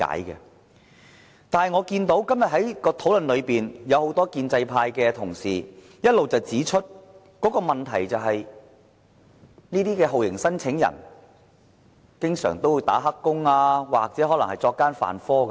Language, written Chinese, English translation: Cantonese, 然而，在今天的討論裏，很多建制派同事一直指出，問題是這些酷刑聲請人經常"打黑工"或可能作奸犯科。, However in the course of todays discussion many pro - establishment Members have been pointing out that the problem lies in the torture claimants engagement in illegal employment or the possibility that they may commit crimes